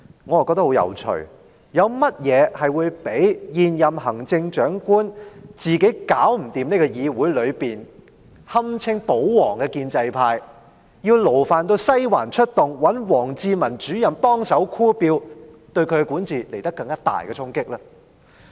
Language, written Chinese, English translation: Cantonese, 我覺得很有趣，有甚麼較現任行政長官自己無法處理議會內堪稱"保皇"的建制派，要勞煩"西環"出動及找王志民主任幫忙拉票這做法對她的管治造成更大的衝擊呢？, This I think is quite interesting . What else can deal a greater blow to the governance of the incumbent Chief Executive than she being unable to handle by herself the so - called pro - Government or pro - establishment camp in this Council and having to turn to the Western District for aid and ask for a favour from Director WANG Zhimin to help canvassing votes?